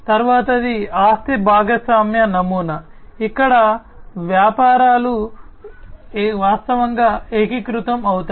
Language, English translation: Telugu, The next one is the asset sharing model, where the businesses virtually consolidate